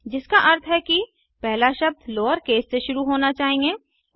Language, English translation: Hindi, Which means that the first word should begin with a lower case